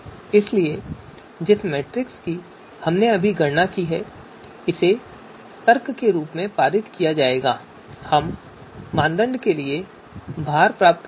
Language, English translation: Hindi, So the matrix that we have just you know computed so that is going to be passed on as the argument and we’ll get the weights for criteria